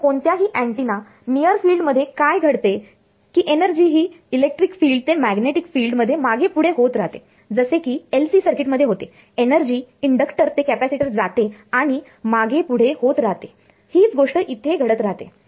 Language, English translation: Marathi, So, what happens in the near field of any antenna is that the energy keeps shuffling between the electric field to magnetic field like in LC circuit, energy goes from an inductor to capacitor and back and forth same thing happens over here